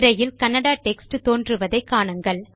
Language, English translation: Tamil, You will see the Kannada text being displayed on the screen